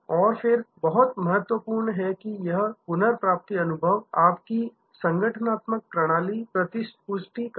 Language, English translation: Hindi, And then, very important that this recovery experience must be fed back to your organizational system